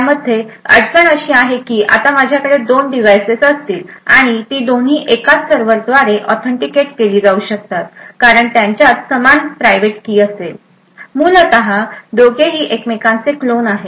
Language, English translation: Marathi, The issue with this is that now I would have two devices, and both can be authenticated by the same server because they would have the same private key in them, essentially both are clones of each other